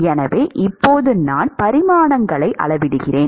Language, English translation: Tamil, So now, I scale the dimensions